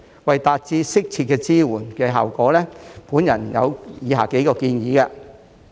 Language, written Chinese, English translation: Cantonese, 為達致適切的支援效果，我有以下數項建議。, In order to achieve the desired effect of providing support I have the following suggestions